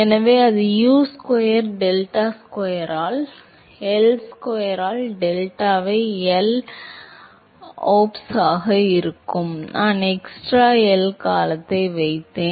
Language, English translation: Tamil, So, that will be U square delta square by L square into delta into L oops, I put an extra L term